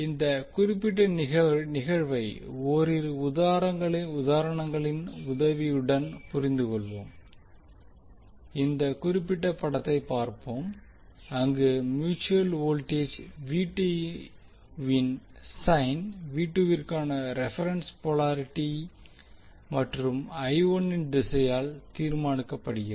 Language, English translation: Tamil, Let us understand this particular phenomena with the help of couple of examples let us see this particular figure where the sign of mutual voltage V2 is determine by the reference polarity for V2 and the direction of I1